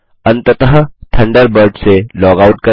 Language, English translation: Hindi, Finally, log out of Thunderbird